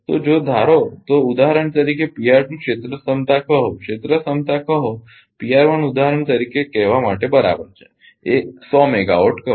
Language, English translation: Gujarati, So, if suppose suppose for example, P r 1 area capacity say area capacity say P r 1 is equal to say for example, say 100 megawatt